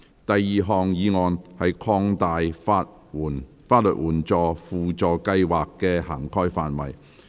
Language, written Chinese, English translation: Cantonese, 第二項議案：擴大法律援助輔助計劃的涵蓋範圍。, Second motion To expand the scope of the Supplementary Legal Aid Scheme